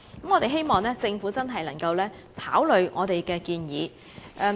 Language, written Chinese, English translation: Cantonese, 我們希望政府能認真考慮這項建議。, We hope the Government can give this proposal serious consideration